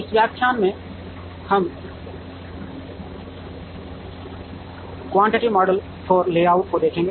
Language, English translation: Hindi, In this lecture, we look at Quantitative Models for Layout